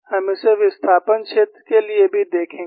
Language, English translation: Hindi, We would also see it for a displacement field